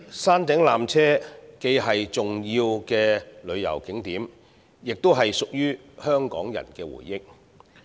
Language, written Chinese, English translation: Cantonese, 山頂纜車既是重要的旅遊景點，亦是香港人的回憶。, The peak tram is not only an important tourist attraction but also the collective memory of Hong Kong people